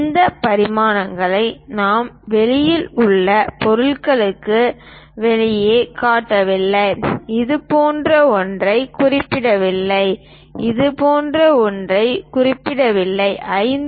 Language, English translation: Tamil, Note that, we are showing these dimensions outside of the object outside not inside something like we are not mentioning it something like this is 5